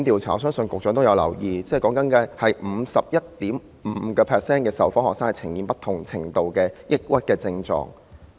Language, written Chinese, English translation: Cantonese, 我相信局長有留意，有組織曾進行調查，發現有 51.5% 的受訪學生呈現不同程度的抑鬱症狀。, I trust the Secretary notices that an organization has conducted a survey and found that 51.5 % of the responding students show symptoms of depression at different levels